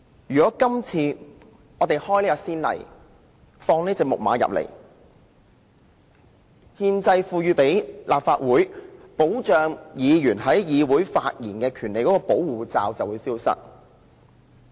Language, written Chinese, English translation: Cantonese, 如果今次開了先例，放這隻"木馬"進來，憲制上賦予立法會保障議員在議會發言的權利的保護罩便會消失。, If we set a precedent this time around and admit this Trojan horse the constitutional protective shield accorded to Legislative Council Members to defend their right to speak in the legislature will disappear